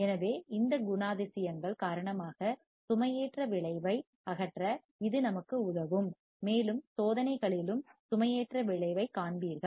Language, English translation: Tamil, So, because of this characteristics, it will help us to remove the loading effect and you will see loading effect in the experiments as well